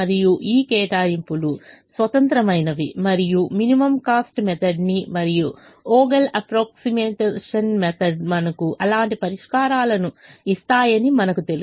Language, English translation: Telugu, and we also know that the minimum cost method and the vogel's approximation method give us such solutions